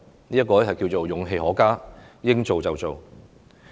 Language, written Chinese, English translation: Cantonese, 這就是勇氣可嘉，應做就做。, Her courage to go ahead with what should be done is commendable